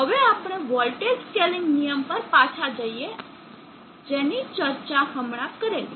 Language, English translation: Gujarati, Now let us go back to the voltage scaling rule which we just now discussed